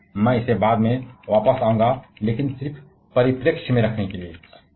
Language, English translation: Hindi, Again, I shall be coming back to this later on, but just to put into the perspective